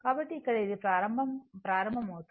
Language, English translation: Telugu, So, here it is starting